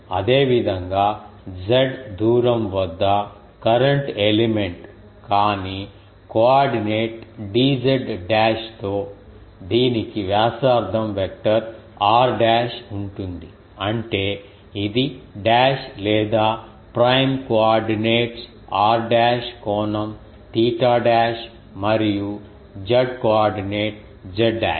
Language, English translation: Telugu, Similarly a current element at a distance z, but with a coordinate d z as it will have a radius vector r dash; that means, it is a dash or flange coordinates are r dash angle is theta dash and the z coordinate is z dash